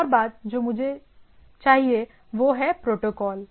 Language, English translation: Hindi, Another thing I require is that the protocol